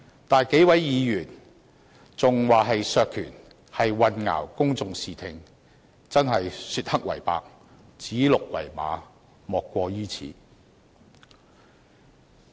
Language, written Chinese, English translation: Cantonese, 但是，數位議員說這是削權，便是混淆公眾視聽，真的是說黑為白，指鹿為馬，莫過於此。, The several Members who contend that this is an attempt to reduce powers are confusing the public . Indeed it is not an overstatement to say that they are swearing black is white or calling a stag a horse